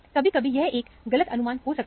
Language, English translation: Hindi, Sometime, this could be a wrong assumption also